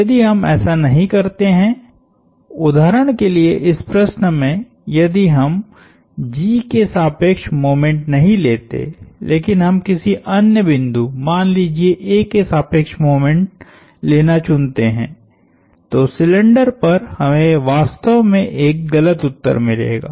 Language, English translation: Hindi, If we do not, for example in this problem, if we did not take moments about G, but we choose to take moments about another point let us say A, on the cylinder we would actually get an incorrect answer